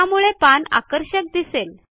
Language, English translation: Marathi, This makes the page look more attractive